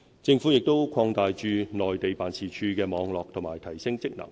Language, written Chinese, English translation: Cantonese, 政府亦擴大駐內地辦事處的網絡和提升職能。, The Government has also been expanding the network of our offices in the Mainland and enhancing their functions